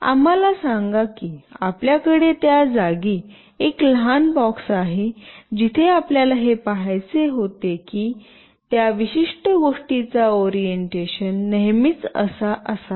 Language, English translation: Marathi, Let us say you have a small box in place where you wanted to see that the orientation of that particular thing should always be like … the head of that particular thing should be at the top